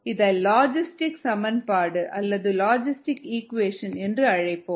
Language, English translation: Tamil, the logistic equation